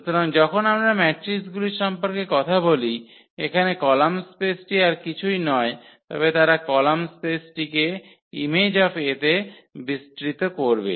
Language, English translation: Bengali, So, when we talk about the matrices here the column space is nothing but they will span the column space is nothing but the image of A